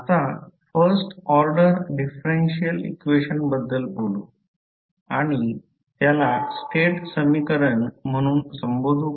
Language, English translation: Marathi, Now, let us talk about first order differential equation and we also call it as a state equation